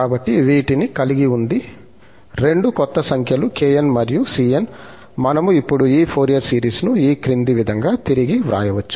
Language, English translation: Telugu, So, having these two or new numbers kn and the cn, we can now rewrite this Fourier series as follows